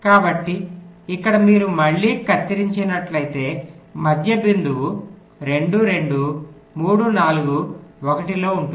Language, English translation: Telugu, so here again, if you cut at the middle point, two, two, three, four will be in one